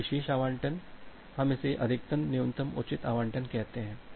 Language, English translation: Hindi, This particular allocation, we call it as a max min fair allocation